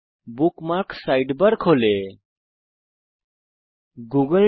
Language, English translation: Bengali, The Bookmarks sidebar opens in the left panel